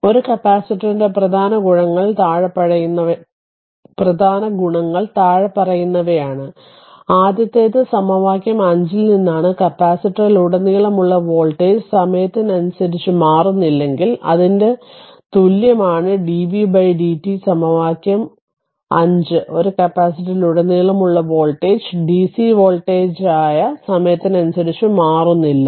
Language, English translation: Malayalam, So, following are the important properties of a capacitor first one is from equation 5 that when voltage across the capacitor is not changing with time that means, your i equal to that is equation 5 dv by dt when voltage across a capacitor is not changing with time that is your dc voltage